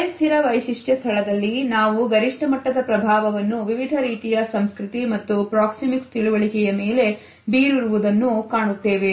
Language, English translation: Kannada, The semi fixed feature space is the one in which we find the maximum impact of different types of understanding of proxemics and culture